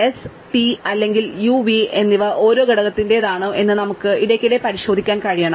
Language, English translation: Malayalam, We just need to be able to check periodically whether s and t or u and v belong to the same component